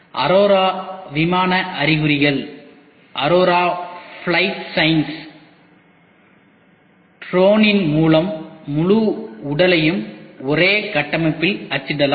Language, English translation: Tamil, Aurora Flight Signs can print the entire body of your drone in one build